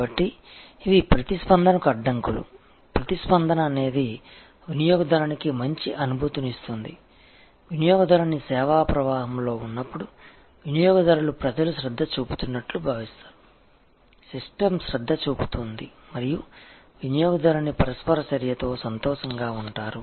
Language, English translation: Telugu, So, these are barriers to responsiveness, responsiveness is where the customer feels good, when the customer is in the service flow, the customers feels that people are paying attention, the system is paying attention and the customer is happy with the interaction; that is going on